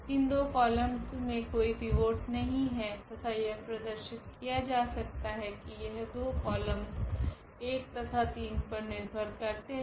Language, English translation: Hindi, These column here does not have a pivot this does not have a pivot and one can show that those two columns depend on this column number 1 and column number 3